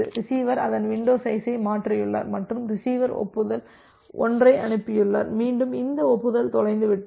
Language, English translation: Tamil, So, receiver has shifted its window and receiver has sent the acknowledgement 1, again this acknowledgement got lost